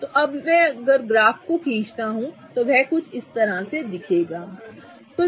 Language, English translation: Hindi, So, now if I draw the graph it would look somewhat like this